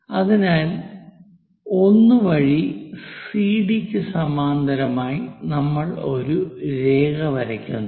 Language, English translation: Malayalam, Parallel to this CD line we are going to draw a line at 1